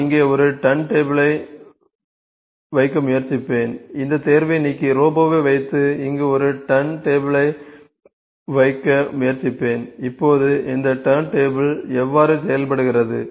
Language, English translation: Tamil, I will just try to put a turn table here, I will delete this pick and place robot and try to put a turn table here, now how does this turn table work, you see to let me fix this